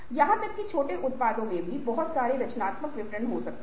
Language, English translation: Hindi, even small products can, these can have a lot of creative details